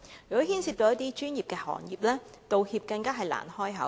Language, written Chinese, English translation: Cantonese, 如果牽涉一些專業行業，道歉更難以啟齒。, If a professional sector is involved it is even more difficult to get an apology